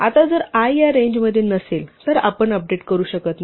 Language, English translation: Marathi, Now if i is not in this range then we cannot do an update